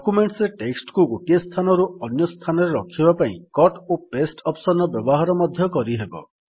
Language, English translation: Odia, You can also use the Cut and paste feature in order to move a text from one place to another in a document